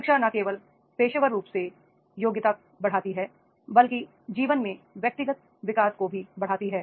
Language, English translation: Hindi, Education not only the professionally but also enhances the personal development and life